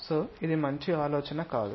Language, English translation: Telugu, So, this is not a good idea